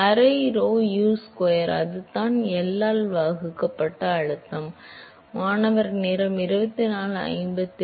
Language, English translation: Tamil, Half rho Usquare, that is it, that is pressure divided by L